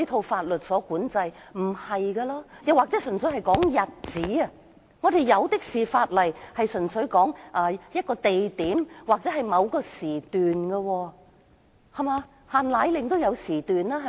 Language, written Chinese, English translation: Cantonese, 法例可以只適用於某個指定日期，我們有很多法例都指定適用於某個地點或某個時段，例如"限奶令"便有限時，對嗎？, Laws can be applicable merely for a specified period . Many of our laws have specified where or when they will be applicable . For example the export control of powdered formulae is time - limited right?